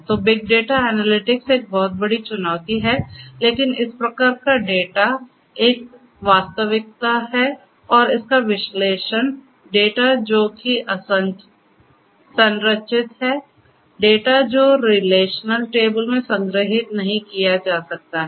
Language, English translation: Hindi, So, big data analytics is a huge challenge, but is a reality and analytics of these types of data, data which are unstructured, not data which cannot be stored in relational tables